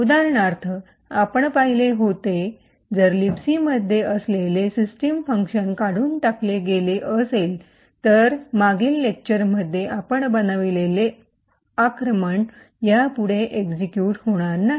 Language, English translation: Marathi, We had seen for example if the system function present in libc was removed then the attack that we have built in the previous lecture will not execute anymore